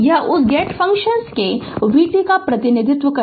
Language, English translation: Hindi, This is your representation of v t that gate function